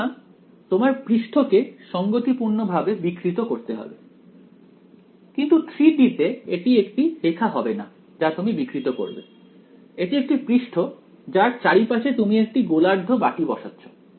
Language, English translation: Bengali, So, you have to deform the surface correspondingly, but in 3D it will not be a line that you are deforming its a surface that you are putting a hemispherical bowl around